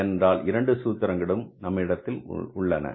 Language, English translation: Tamil, Both the formulas should be with us